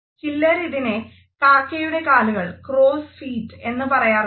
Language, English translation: Malayalam, Some people actually call these crows feet